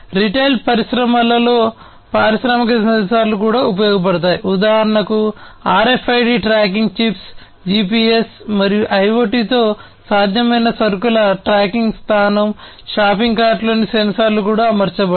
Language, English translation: Telugu, In the retail industry also industrial sensors are used, for example, RFID tracking chips, tracking location of shipments made possible with GPS and IoT, sensors on shopping cart are also deployed